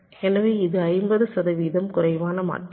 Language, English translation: Tamil, so it is fifty percent less transitions